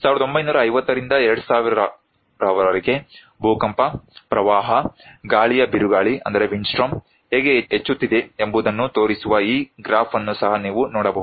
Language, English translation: Kannada, You can see this graph also that is showing that how earthquake, flood, windstorm is increasing from 1950 to 2000